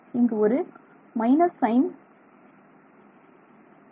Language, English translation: Tamil, This is an extra minus sign where